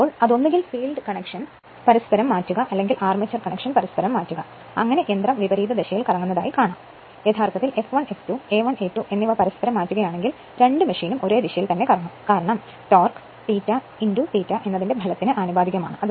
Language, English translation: Malayalam, So, your that is either; that means, either you interchange the field connection or you interchange the armature connection such that machine will rotate in the reverse direction, but if you interchange both F 1 F 2 and A 1 A 2 both machine will rotate in the same direction because, torque is proportional to the what you call your phi into I a right product of these 2 right